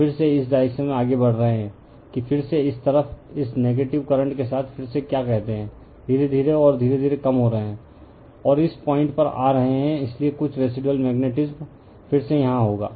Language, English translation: Hindi, And again further you are moving again in this direction, that again you are you are what you call go with your this negative current this side, you are slowly and slowly you are decreasing and coming to this point, so some residual magnetism again will be here